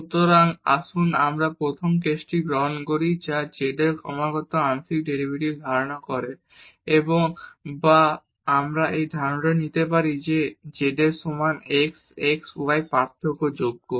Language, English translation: Bengali, So, let us take the first case lets z posses continuous partial derivatives or we can also take this assumption that this z is equal to f x y is differentiable